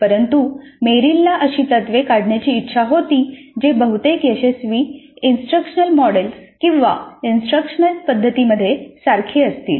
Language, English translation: Marathi, But Merrill wanted to extract such principles which are common across most of the successful instructional models or instructional methods